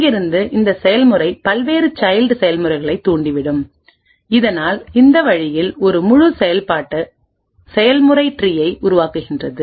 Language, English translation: Tamil, From here this process would then fork various child processes and thus in this way creates an entire process tree